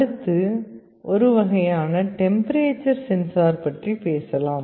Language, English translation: Tamil, Next let us talk about one kind of temperature sensor